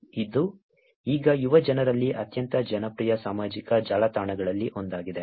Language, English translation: Kannada, It is one of the very, very popular social networks among the youngsters now